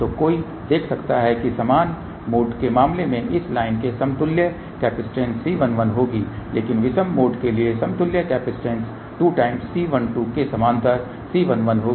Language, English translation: Hindi, So, one can see that in case of the even mode the equivalent capacitance of this line will be let us say C 1 1 , but for odd mode equivalent capacitance will be C 1 1 in parallel with 2 C 1 2